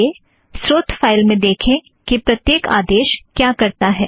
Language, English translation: Hindi, Let us go through the source file and see what each command does